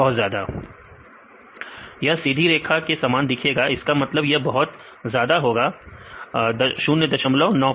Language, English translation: Hindi, Very high; look like the straight line that mean this is very high 0